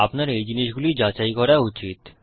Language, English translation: Bengali, Thats why you should check these things